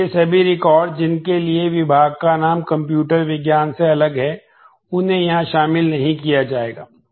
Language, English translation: Hindi, So, all records for which department name is different from computer science will not be included here